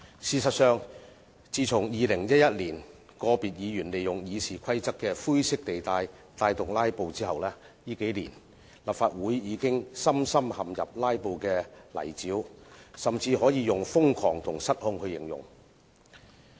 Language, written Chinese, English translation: Cantonese, 事實上，自從2011年個別議員利用《議事規則》的灰色地帶發動"拉布"後，立法會近年已深深陷入"拉布"的泥沼，甚至可以用瘋狂和失控來形容。, Actually since some Members have started to filibuster in 2011 by exploiting the grey areas in the Rules of Procedure RoP the Legislative Council has been bogged down in filibustering in recent years such that the situation can even be described as frantic and out of control